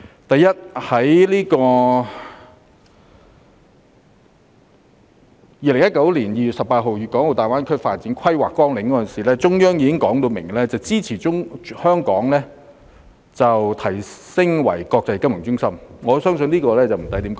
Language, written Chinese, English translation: Cantonese, 第一，中央在2019年2月18日公布《規劃綱要》時，已表明支持香港提升為國際金融中心，我相信這一點無需多說。, Firstly in the Outline Development Plan promulgated on 18 February 2019 the Central Authorities have already indicated their support for enhancing Hong Kongs status as an international financial centre . I believe there is no need to elaborate on this point